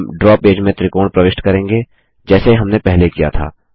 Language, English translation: Hindi, We shall insert a triangle in the Draw page, as we did before